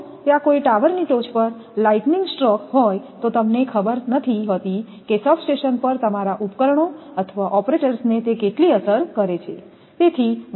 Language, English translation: Gujarati, If lightning stroke is there on the top of a tower there you do not know how far how much it can affect to the your equipments or operators at the substations